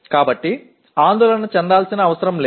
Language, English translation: Telugu, So that need not be worried